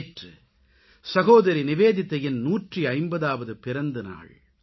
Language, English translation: Tamil, Yesterday was the 150th birth anniversary of Sister Nivedita